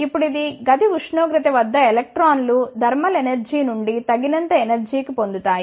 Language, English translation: Telugu, Now, at room temperature the electrons gains sufficient energy from the thermal energy